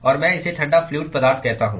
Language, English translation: Hindi, And I call this is the cold fluid